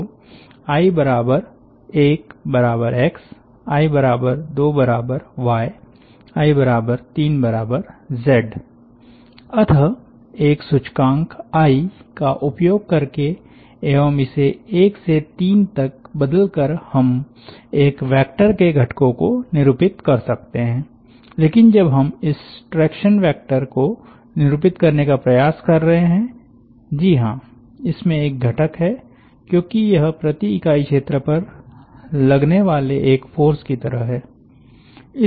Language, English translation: Hindi, therefore, by using one index i and varying it from one to three, we may denote the components of a vector, but when we are trying to denotes this traction vector, yes, it has a component because it is, it is like a force unit per area